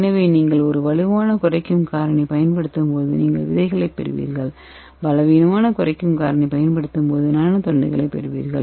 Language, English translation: Tamil, So when you use that strong reducing agent you will get the seeds and when you use the weak reducing agent you get the Nano rods okay